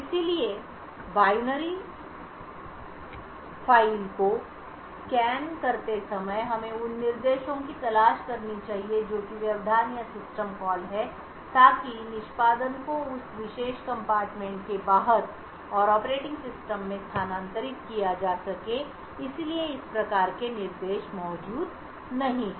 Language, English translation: Hindi, So while scanning the binary file we need to look out for instructions which are interrupts or system calls so which could transfer execution outside that particular compartment and into the operating system, so these kinds of instructions are not present